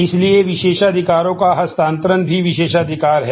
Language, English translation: Hindi, So, transfer of privileges is also privilege